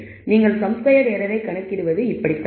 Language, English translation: Tamil, So, this is how you would compute the sum squared error